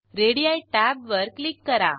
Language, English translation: Marathi, Click on Radii tab